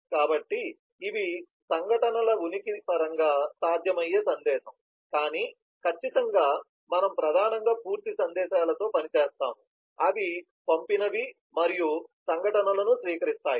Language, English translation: Telugu, so these are possible message in terms of presence of events, but certainly we would primarily work with complete messages, which have both the sent as well as receive events